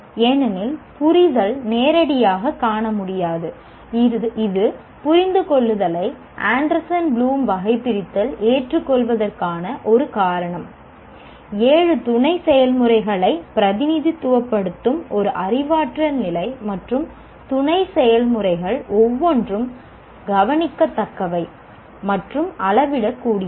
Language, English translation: Tamil, That is the reason why the understand is accepted by Anderson Bloom taxonomy as a cognitive level to represent the seven sub processes and each one of the sub processes is observable and measurable